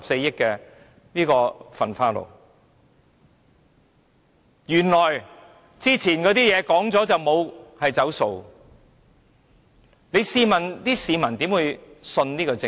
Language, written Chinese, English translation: Cantonese, 原來以前提出的是可以"走數"，試問市民如何相信這個政府。, How can the public have trust in the Government if it can default on its previous proposals?